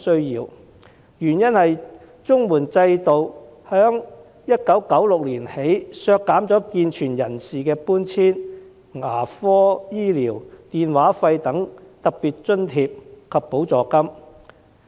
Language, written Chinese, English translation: Cantonese, 原因是自1996年起，綜援制度下健全人士的搬遷、牙科治療、電話費等特別津貼及補助金已被削減。, The reason is that since 1996 special grants and supplements for relocation dental treatment phone bills etc . for able - bodied adults have been abolished